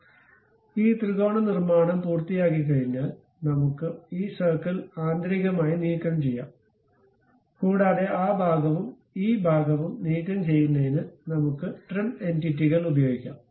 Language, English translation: Malayalam, So, once it is done this triangular construction, we can internally remove this circle and we can use trim entities to remove that portion and this portion also